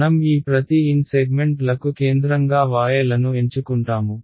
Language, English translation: Telugu, We will choose y’s to be the centre of each of these n segments